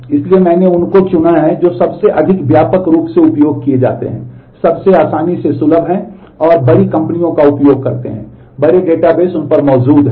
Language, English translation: Hindi, So, I have chosen the ones which are most widely used, most easily accessible and kind of large companies use them, large databases exist on them